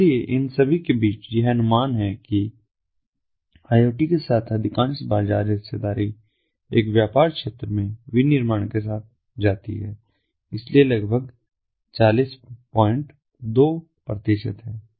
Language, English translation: Hindi, so in among all of these, it is estimated that most of the market share with iot goes with the manufacturing at an business sector